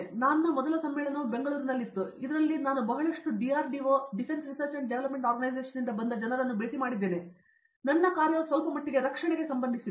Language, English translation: Kannada, So, my first conference was in Bangalore in which I met a lot of DRDO people and my work is related to somewhat defense